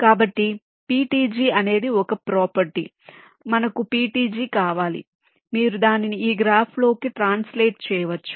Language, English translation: Telugu, so ptg is a property where you which you must have an from ptg you can translate it into this graph